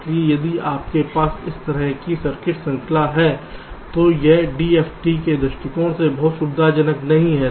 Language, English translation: Hindi, so if you have a circuit structure like this, this is not very convenient from d f t point of view